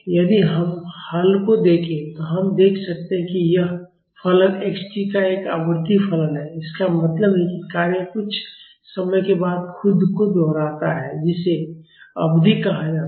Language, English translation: Hindi, If we look at the solution, we can see that this function x t is a periodic function; that means, the function repeats itself after some time called period